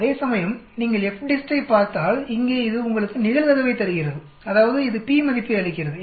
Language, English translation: Tamil, Whereas if you look at the FDIST, here it gives you the probability that mean it gives the p value